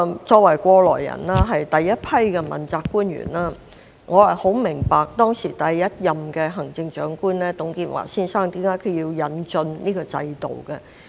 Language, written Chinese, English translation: Cantonese, 作為過來人，我是第一批問責官員，我很明白第一任行政長官董建華先生當時為何要引進這個制度。, I myself have had this experience as I was in the first batch of principal officials and I understand very well why Mr TUNG Chee - hwa the first Chief Executive had to introduce this system